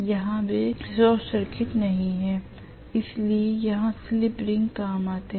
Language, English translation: Hindi, Here they are not short circuited, so here slip rings come in handy